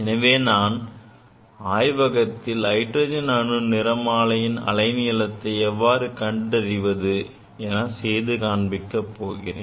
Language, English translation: Tamil, We will demonstrate in laboratory how to measure the wavelength of hydrogen atom